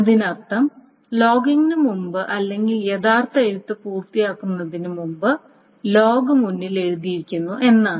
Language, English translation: Malayalam, That means before the logging, before the actual right is done, the log is being written ahead